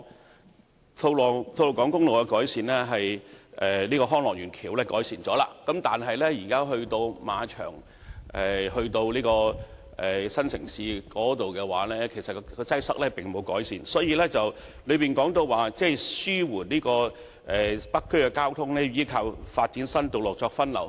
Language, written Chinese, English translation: Cantonese, 雖然吐露港公路和康樂園橋面的交通情況已經得到改善，但由馬場至新城市廣場一帶的交通擠塞情況，並未得到改善，因此局長在主體答覆表示紓緩北區交通需倚靠發展新道路發揮分流作用。, Although the traffic conditions on Tolo Highway and the bridge deck of Hong Lok Yuen have been ameliorated the traffic congestion in the area stretching from the racecourse to New Town Plaza and its vicinity has yet to be alleviated . As such the Secretary indicated in the main reply that new roads had to be developed to divert traffic in order to alleviate traffic in the North District